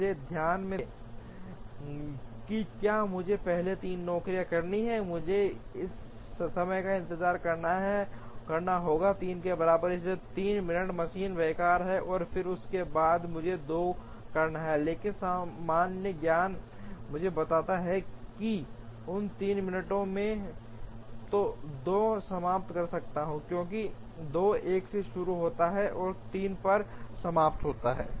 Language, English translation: Hindi, So, see carefully if I have to do job 3 first, I have to wait for time equal to 3, so 3 minutes the machine is idle, and then after that I have to do 2, but common sense tells me that in those 3 minutes I can finish 2, because 2 starts at 1 and finishes at 3